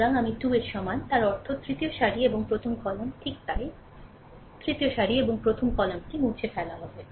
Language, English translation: Bengali, So, i is equal to 3; that means, third row and your first column, right so, third row and first column will be eliminated